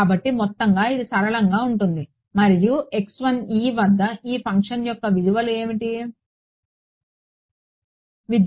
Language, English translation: Telugu, So, overall it is linear and what are what are the values of this function at x 1, the value of this function at x at x 1 what its value